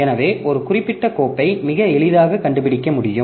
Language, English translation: Tamil, So, we can very easily locate a particular file